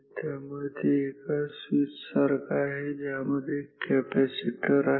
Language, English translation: Marathi, So, it is like this switch with a capacitor